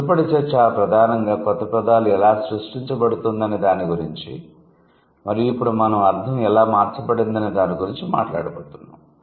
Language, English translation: Telugu, The previous discussion was primarily about how the new words are created and now we are going to talk about how the meaning has been changed